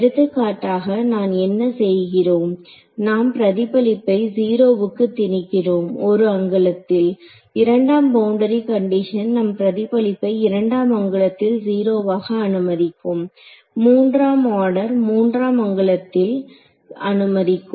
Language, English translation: Tamil, So, for example, what are we doing we are imposing that the reflection go to 0 at 1 angle a second order boundary condition will allow you to make the reflection go to 0 at 2 angles, 3rd order will allow you to do it at 3 angles and so on